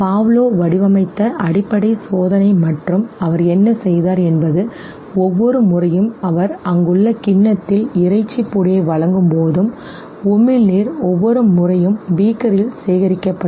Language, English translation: Tamil, So that was you know the basic experimentation that Pavlov had designed and what he did was that every time he would present the meat powder in the bowl there, the dog would salivate and every time the saliva would get collected in the beaker